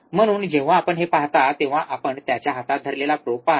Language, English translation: Marathi, So, when you see that you will see the probe, which is holding in his hand